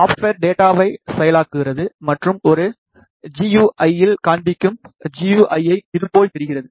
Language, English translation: Tamil, The software backend processes the data and displays on to a GUI the GUI looks like this